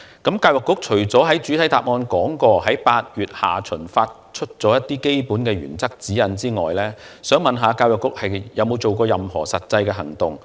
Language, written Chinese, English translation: Cantonese, 除了局長在主體答覆中提到，曾在8月下旬發出一些基本原則及指引外，教育局有否採取任何實際行動？, In addition to the basic principles and guidelines issued in late August as the Secretary has mentioned in the main reply has the Education Bureau taken any practical actions?